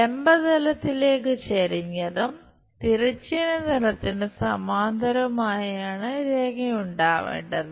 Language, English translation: Malayalam, Line supposed to be inclined to vertical plane and parallel to horizontal plane